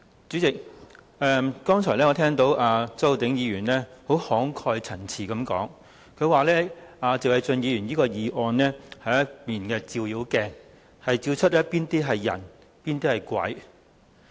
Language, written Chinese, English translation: Cantonese, 主席，我剛才聽到周浩鼎議員慷慨陳詞，表示謝偉俊議員提出的議案是一面"照妖鏡"，照出誰是人、誰是鬼。, President earlier on I heard Mr Holden CHOWs passionate speech . He said that Mr Paul TSEs motion is a demon - revealing mirror which can tell who are humans and who are demons